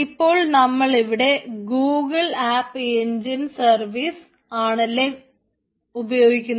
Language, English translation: Malayalam, right, yes, so using google app engine services